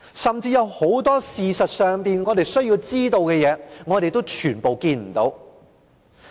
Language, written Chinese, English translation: Cantonese, 甚至有很多我們事實上需要知道的事，我們全部都見不到。, In fact there are many things we need to know but the authorities have not said a word